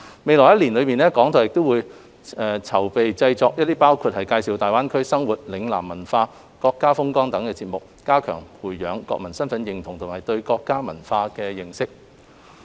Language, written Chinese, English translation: Cantonese, 未來一年，港台會籌劃製作包括介紹大灣區生活、嶺南文化、國家風光等的節目，加強培養國民身份認同及對國家文化的認識。, In the coming year RTHK will produce programmes on life in the Greater Bay Area Lingnan culture as well as scenery of our country to further cultivate the sense of national identity and improve the understanding of our national culture